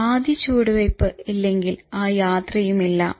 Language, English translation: Malayalam, If you don't take the first step so your journey will never come once